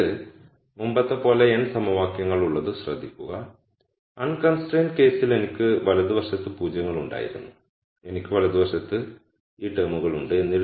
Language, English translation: Malayalam, So, now notice much like before I have n equations the difference being in the unconstrained case I had zeros on the right hand side in the constrained case I have these terms on the right hand side